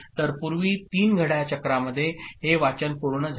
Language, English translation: Marathi, So earlier in three clock cycle this reading was completed